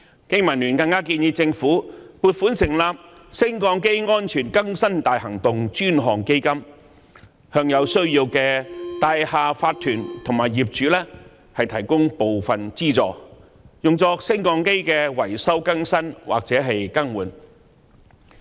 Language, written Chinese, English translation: Cantonese, 經民聯更建議政府撥款成立"升降機安全更新大行動專項基金"，向有需要的大廈業主立案法團及業主提供部分資助，用作升降機維修、更新或更換。, BPA has even proposed that the Government should allocate funding for setting up a dedicated fund for conducting a lift safety enhancement campaign and providing needy owners corporations and also property owners with partial subsidies for lift repair modernization or replacement